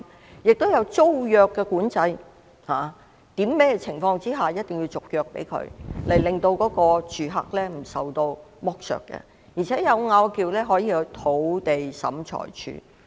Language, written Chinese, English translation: Cantonese, 此外，亦設有租約管制，訂明在甚麼情況下必須續約，以免住客受到剝削；而且有爭拗時，可入稟土地審裁處。, Besides it has put tenancy control in place stating under what circumstances a tenancy agreement must be renewed to prevent the tenant from being exploited . Moreover when there is any dispute it may be referred to the Lands Tribunal